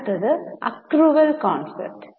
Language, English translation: Malayalam, Next is accrual concept